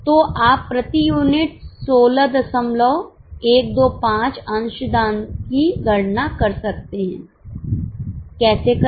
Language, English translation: Hindi, You know the number of units so you can compute the contribution per unit 16